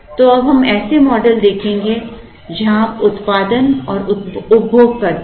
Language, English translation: Hindi, So, we will get into models, where we produce and consume